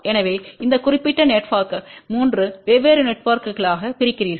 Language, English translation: Tamil, So, you divide this particular network into 3 different networks